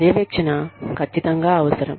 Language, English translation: Telugu, Supervision is absolutely essential